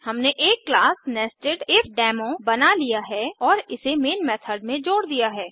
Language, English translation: Hindi, We have created a class NesedIfDemo and added the main method to it